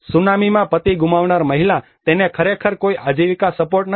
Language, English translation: Gujarati, A lady who lost her husband in the tsunami, she actually does not have any livelihood support